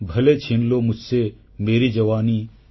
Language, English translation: Odia, Bhale chheen lo mujhse meri jawani